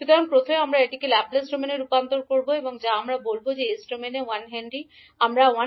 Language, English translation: Bengali, So first we will convert it to Laplace domain that is we will say that 1 henry in s domain we will sell as s